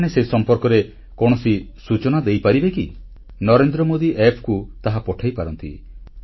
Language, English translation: Odia, Can you post on NarendraModiApp